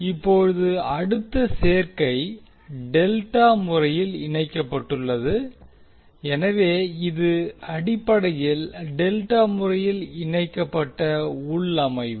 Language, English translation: Tamil, Now next combination is delta connected, so this is basically the delta connected configuration